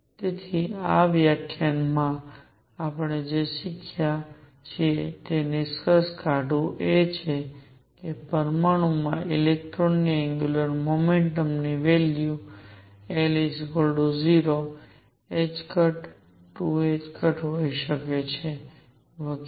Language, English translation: Gujarati, So, to conclude this what we have learnt in this lecture is that angular momentum of electron in an atom could have values l equals 0, h cross, 2 h cross and so on